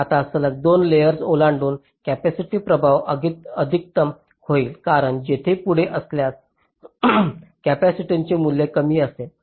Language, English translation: Marathi, now, across two consecutive layers, the capacitive affect will be the maximum, because if there are further, if away, the value of the capacitance will be less